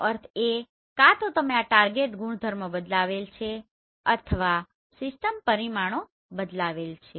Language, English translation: Gujarati, That means either you have changed this target properties or the system parameters have been changed